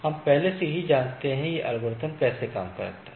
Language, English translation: Hindi, So, like the this already we know that how this algorithm was